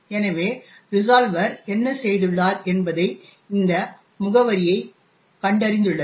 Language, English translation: Tamil, So, what the resolver has done it has gone into this particular address